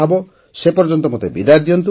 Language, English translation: Odia, Till then, I take leave of you